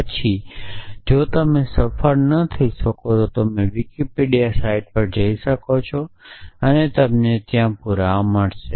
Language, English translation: Gujarati, Then, if you cannot succeed you can go to the Wikipedia site and you will find the proof there